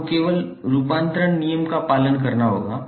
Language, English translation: Hindi, You have to just follow the conversion rule